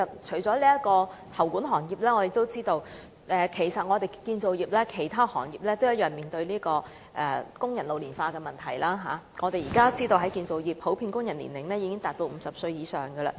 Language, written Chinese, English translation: Cantonese, 此外，除喉管行業外，我們知道建造業的其他行業亦面對工人老齡化的問題，現時建造業工人平均年齡已達50歲以上。, Besides in addition to the plumbing industry we know that other industries within the construction sector are also facing the problem of ageing of workers . The average age of construction workers is now over 50 years old